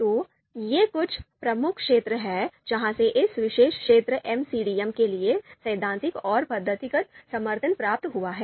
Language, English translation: Hindi, So these are some of the prominent fields which are actually from where this theoretical and methodological support, this has been drawn for this particular field MCDM